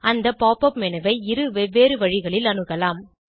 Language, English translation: Tamil, You can access the pop up menu by two different methods